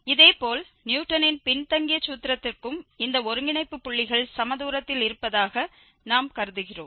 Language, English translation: Tamil, Similarly, for the Newton's backward formula as well we have assumed that these nodal points are equidistant